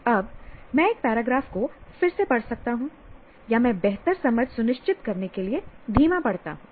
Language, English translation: Hindi, Now, this can be rereading a paragraph or I read slower to ensure better comprehension or better understanding